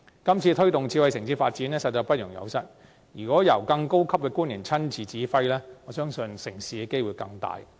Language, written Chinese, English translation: Cantonese, 今次推動智慧城市的發展實在不容有失，如果由更高級的官員親自指揮，我相信成事的機會更高。, We can ill afford botching the promotion of smart city development this time around . I believe we stand a better chance of success with officials at a higher level personally calling the shots